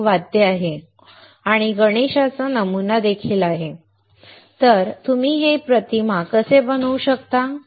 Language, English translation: Marathi, There is an instrument right here and there is a Ganesha pattern also; Now how can you make this patterns